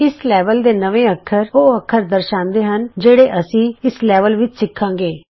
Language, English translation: Punjabi, The New Characters in This Level displays the characters we will learn in this level